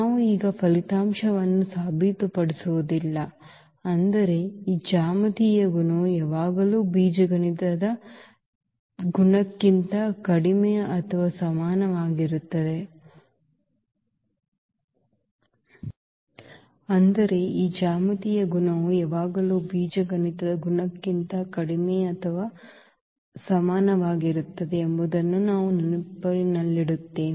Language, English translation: Kannada, So, we will not prove this result now, but we will keep in mind that this geometric multiplicity is always less than or equal to the algebraic multiplicity